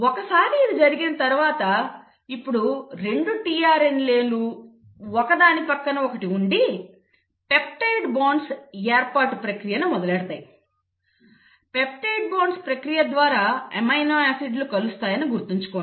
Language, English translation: Telugu, Once this has happened, now the 2 tRNAs are next to each other you will have the process of formation of peptide bonds; remember to amino acids are joined by the process of peptide bonds